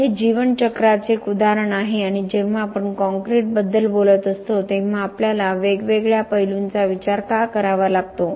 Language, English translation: Marathi, So, this is an example of the life cycle and why we have to think about the different aspects when we are talking about concrete